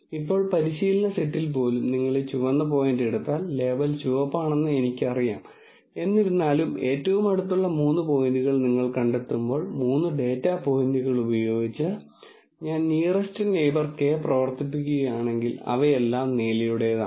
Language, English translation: Malayalam, Now even in the training set for example, if you take this red point, I know the label is red; how ever, if I were to run k nearest neighbor with three data points, when you find the three closest point, they all belong to blue